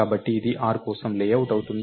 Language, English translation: Telugu, So, this would be the layout for r